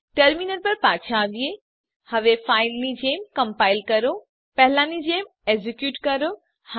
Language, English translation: Gujarati, Come back to our terminal Now Compile as before Execute as before